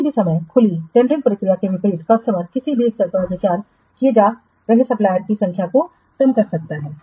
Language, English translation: Hindi, Unlike the open tendering process at any time the customer can reduce the number of suppliers being considered any stage